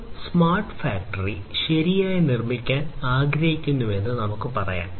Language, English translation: Malayalam, So, let us say that we want to build a smart factory right